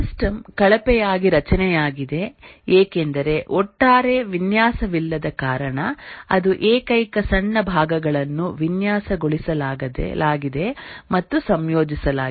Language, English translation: Kannada, The system is poorly structured because there is no overall design made, it's only small parts that are designed and integrated